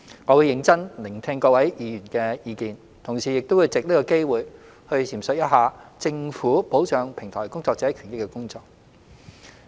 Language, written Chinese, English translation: Cantonese, 我會認真聆聽各位議員的意見，同時也想藉此機會闡述政府保障平台工作者權益的工作。, I will listen carefully to Members views . Also I wish to take this opportunity to explain the Governments work on protecting the rights and interests of platform workers